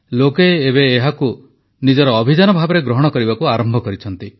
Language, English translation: Odia, People now have begun to take it as a movement of their own